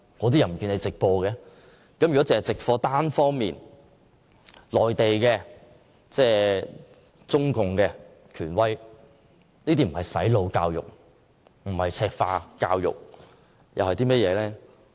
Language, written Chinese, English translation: Cantonese, 單方面直播內地中共權威的發言，不是"洗腦"和"赤化"教育，又會是甚麼呢？, The one - sided broadcasting of the talk given by a figure of the Central authority is actually brainwashing and Mainlandization . If it is not then what will it be?